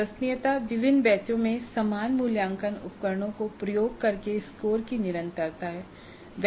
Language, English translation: Hindi, Reliability is consistency of scores across administration of similar assessment instruments over different batches